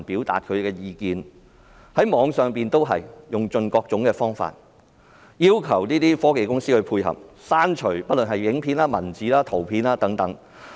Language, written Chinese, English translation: Cantonese, 對於網上資料，警方用盡各種方法，要求科技公司配合，刪除影片、文字或圖片。, For online information the Police will exhaust various means to force technology companies to cooperate by removing videos texts or pictures